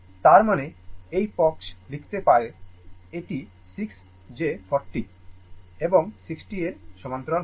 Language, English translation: Bengali, That mean, this side we can write it will be 6 plus that your 40 parallel to 60